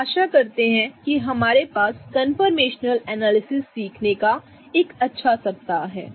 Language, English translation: Hindi, So, hope we have a really good week of learning conformational analysis